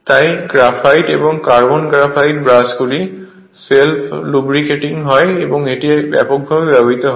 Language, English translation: Bengali, Therefore graphite and carbon graphite brushes are self lubricating and widely used